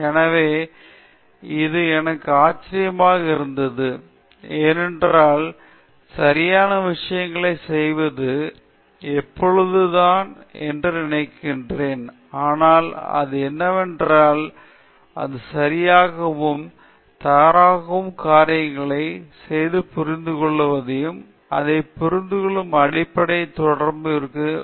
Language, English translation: Tamil, So, that was the surprise for me because I thought that it was always about doing the right things, but what I understood what is that it is also OK, to do the wrong things and understand and it’s a continues learning process to understand it in a right sense so